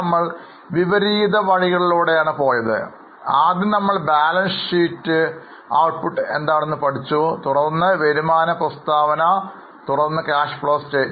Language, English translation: Malayalam, First we have learned what is the output in the form of balance sheet, then income statement, then cash flow